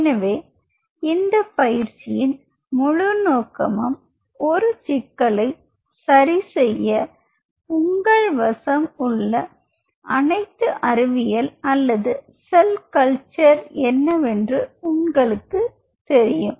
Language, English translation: Tamil, So, this whole purpose of this exercise is you know what all scientific or cell culture tools you are having at your disposal in order to crack a problem right